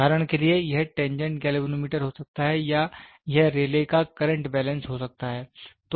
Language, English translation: Hindi, For example, it can be tangent galvanometer or it can be Rayleigh’s current balance